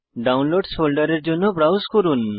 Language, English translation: Bengali, Browse to Downloads folder